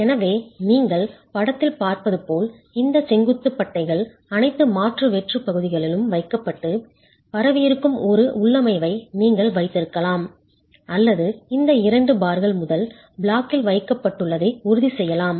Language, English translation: Tamil, So you can either have a configuration where as you see in the figure, these vertical bars have been placed in all the alternate hollow regions or you could, and it's spread, or you could ensure that two of these bars are placed in the first block and two of the bars are placed in the last block and therefore you are concentrating them